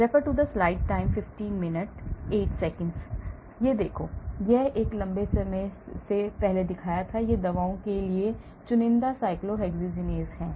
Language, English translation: Hindi, Look at this, I had shown this long time back, these are selectively cyclooxygenase to drugs